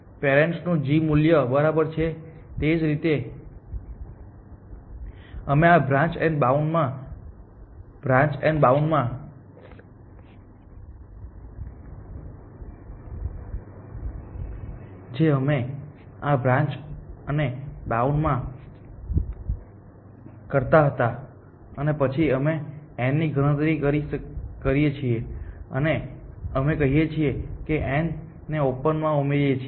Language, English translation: Gujarati, The g value of the parent exactly as we were doing in this branch and bound kind of a thing and then we compute f of n and we say add n to open